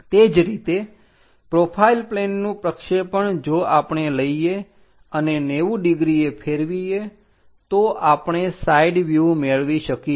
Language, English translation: Gujarati, Similarly, the profile plane projection if we are going torotate it 90 degrees, we will get a side view